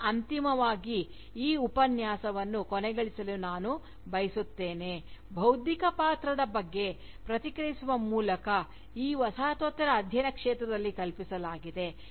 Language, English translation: Kannada, Now, finally, I would like to end this Lecture, by commenting on the role of intellectual, as conceived within this field of Postcolonial studies